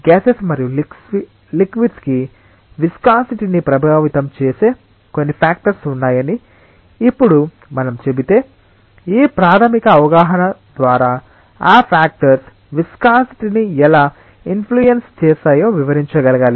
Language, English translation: Telugu, If we say now that there are certain factors which are affecting the viscosity for gases and liquids, then we should be able to explain how those factors influence the viscosity through this basic understanding